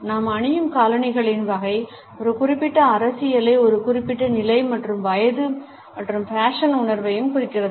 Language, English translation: Tamil, The type of shoes which we wear also indicate a particular politics a particular status as well as age and fashion sense